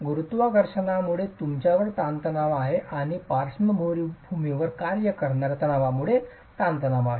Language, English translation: Marathi, You have stresses due to gravity and you have stresses due to lateral forces acting on it